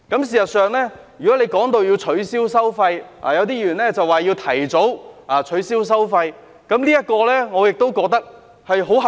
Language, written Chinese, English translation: Cantonese, 事實上，如果提到要取消收費，有些議員說要提早取消收費，這點我亦覺得很合理。, In fact concerning the toll waiver some Members have suggested an earlier waiver of tolls which I also find reasonable